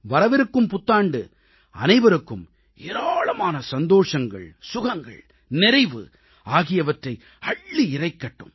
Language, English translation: Tamil, May the New Year bring greater happiness, glad tidings and prosperity for all of you